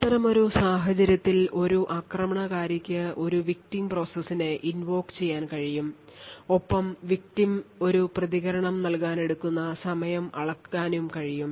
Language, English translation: Malayalam, So, in such a scenario we have an attacker who is able to invoke a victim application and is able to measure the time taken for the victim to provide a response